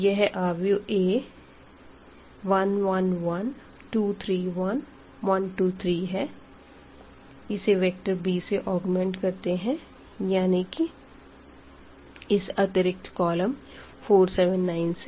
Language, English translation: Hindi, So, this is precisely the A 1 1 1 2 3 1 and 1 2 3 and this b we have augmented here with the same matrix as extra column